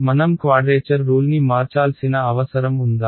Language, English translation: Telugu, Do I need to change the quadrature rule